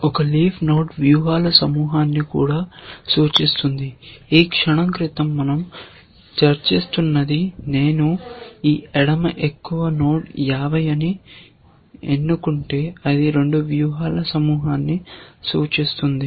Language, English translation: Telugu, A leaf node also represents a cluster of strategies, which is what we were discussing in the moment ago that, if I were to choose this node 50, the left most node then, it represents a cluster of 2 strategies